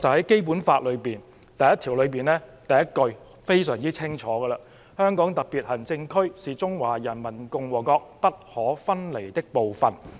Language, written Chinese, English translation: Cantonese, 《基本法》第一條第一句已清晰訂明這條"紅線"的存在："香港特別行政區是中華人民共和國不可分離的部分。, Article 1 of the Basic Law clearly stipulates this red line The Hong Kong Special Administrative Region is an inalienable part of the Peoples Republic of China